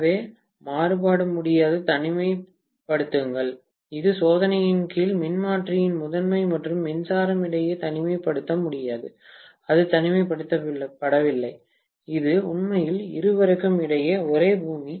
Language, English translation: Tamil, So, variac cannot isolate, it cannot isolate between the primary of the transformer under test and the power supply, it is not isolating, it is actually the same earth between both of them, okay